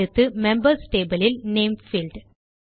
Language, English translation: Tamil, Next is the Name field in the Members table